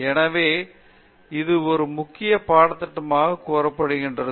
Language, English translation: Tamil, So, this is what we have termed as a core curriculum